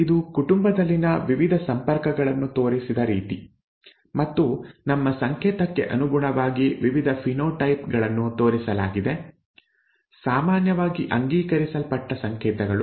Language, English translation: Kannada, This is the way the various linkages in the family are shown and the various phenotypes are shown according to our code, the generally accepted code